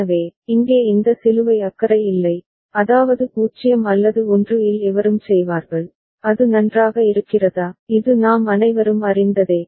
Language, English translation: Tamil, So, this cross here is don’t care that means, any of 0 or 1 will do, is it fine, this we all know alright